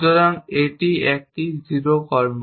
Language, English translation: Bengali, So, this is a 0 action